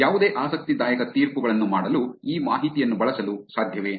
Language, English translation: Kannada, Is it possible to use this information for making any interesting judgments